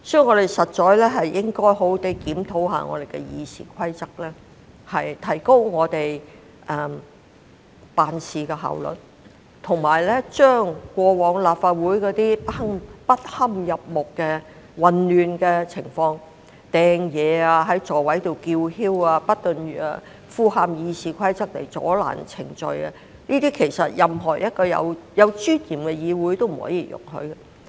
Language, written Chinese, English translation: Cantonese, 我們實應好好檢討《議事規則》，提高我們的辦事效率，以及杜絕過往在立法會出現的種種不堪入目的混亂情況，例如擲物、在座位上叫囂、不斷濫用《議事規則》阻撓進行議事程序等，這些均是任何一個具尊嚴的議會所絕不容許的行為。, We should therefore seriously review the Rules of Procedure improve our work efficiency and get rid of all those terrible and unsightly chaos that we have previously experienced in this Council such as throwing objects shouting loudly at the seat abusing the Rules of Procedure constantly to obstruct parliamentary proceedings etc . A legislature with dignity will never tolerate such behaviours